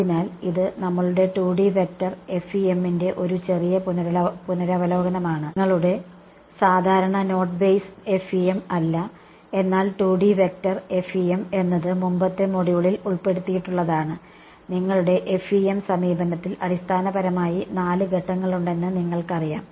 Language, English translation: Malayalam, So, this is a little bit of revision of our 2D vector FEM not the your regular note base FEM, but 2D vector FEM is what was covered in a previous module and as you know that there are basically four steps in your FEM approach